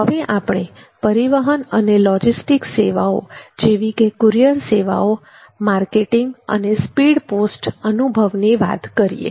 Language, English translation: Gujarati, next we look at transportation and logistics services like courier services marketing and the speed post ma post experience